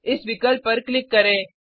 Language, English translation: Hindi, Lets click on this option